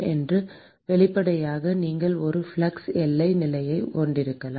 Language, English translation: Tamil, One is obviously, you can have a flux boundary condition: